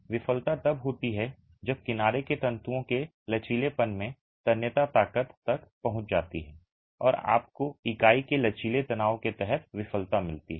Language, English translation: Hindi, Failure occurs when the tensile strength in flexure of the edge fibers are reached and you get failure under flexual tension of the unit itself